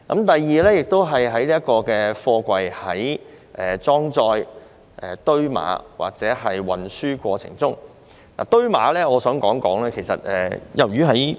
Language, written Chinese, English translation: Cantonese, 第二方面關乎貨櫃在裝載、堆碼或運輸過程中的測試程序及規格。, The second aspect concerns the testing procedures and specifications for containers in the course of loading stacking and transportation